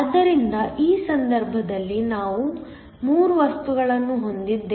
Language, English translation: Kannada, So, in this case we have 3 materials